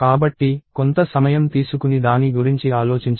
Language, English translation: Telugu, So, take some time and think about it